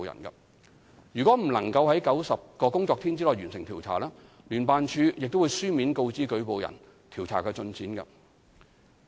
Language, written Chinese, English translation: Cantonese, 如果未能於90個工作天內完成調查，聯辦處亦會書面告知舉報人調查進展。, If the investigation cannot be completed within 90 working days JO will notify in writing the informant of the investigation progress